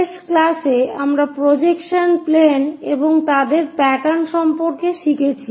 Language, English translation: Bengali, In the last class, we learned about projection planes and their pattern